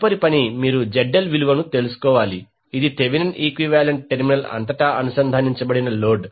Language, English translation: Telugu, Next task is you need to find out the value of ZL, which is the load connected across the terminal of the Thevenin equivalent